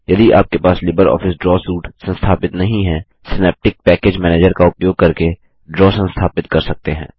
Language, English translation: Hindi, If you do not have LibreOffice Suite installed, Draw can be installed by using Synaptic Package Manager